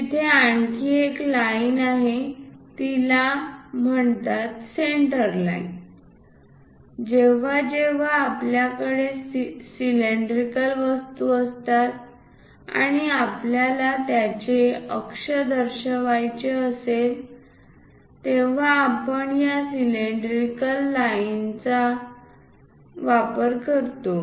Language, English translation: Marathi, There is one more line called center line whenever we have cylindrical objects and we would like to show about that axis, we go with these center lines